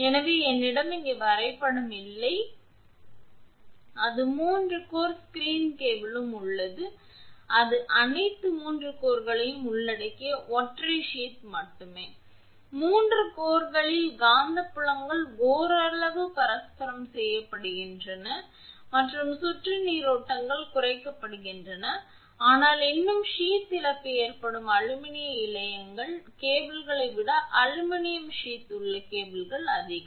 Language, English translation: Tamil, So, I do not have the diagram here, it is there also 3 core screen cable with only single sheath covering all the 3 cores, the magnetic fields of the 3 cores are partially mutually compensated and the circulating currents are reduced, but still sheath loss will happen sheath losses are greater in aluminum sheathed cables than the lead sheathed cables